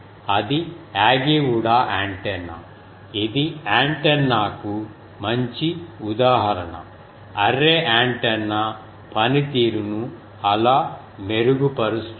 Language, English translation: Telugu, So, that is Yagi Uda antenna that also is an good example of antenna, that how array antenna can improve the performance